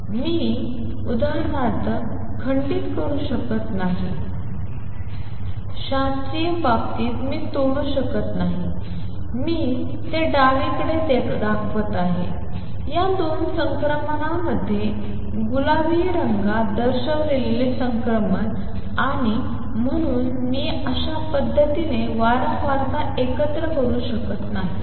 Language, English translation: Marathi, Here I cannot break for example, in the classical case I cannot break I am showing it on the left, the transition shown in pink into these two transitions and therefore, I cannot combine frequency in such a manner